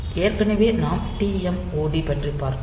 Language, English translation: Tamil, So, TMOD we have already seen